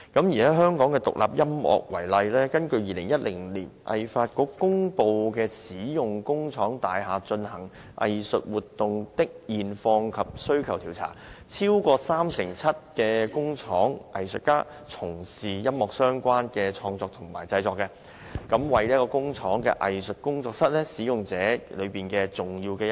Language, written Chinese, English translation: Cantonese, 以香港的獨立音樂創作為例，根據2010年香港藝術發展局公布的"使用工廠大廈進行藝術活動的現況及需求調查"，超過三成七的工廠藝術家從事音樂相關的創作及製作，為工廠藝術工作室使用者中重要的一群。, I will use independent music production in Hong Kong as an example . According to the Survey on the Current Status of Industrial Buildings for Arts Activities and Future Demand published by the Hong Kong Arts Development Council in 2010 over 37 % of factory artists engaged in music - related creation and production . They formed an important arts group and are major users of factory studios